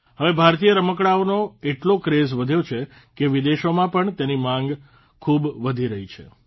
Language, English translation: Gujarati, Nowadays, Indian toys have become such a craze that their demand has increased even in foreign countries